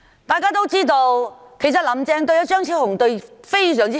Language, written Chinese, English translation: Cantonese, 大家也知道，"林鄭"對張超雄議員非常好。, Everyone knows that Carrie LAM is very good to Dr CHEUNG